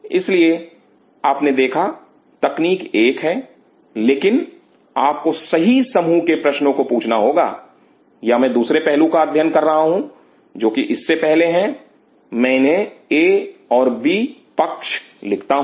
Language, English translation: Hindi, So, you see technique is one, but one has to ask the right set of questions or I study there is another side which is previous to this one I put this is A as a B side